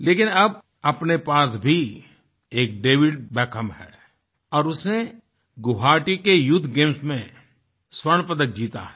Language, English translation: Hindi, But now we also have a David Beckham amidst us and he has won a gold medal at the Youth Games in Guwahati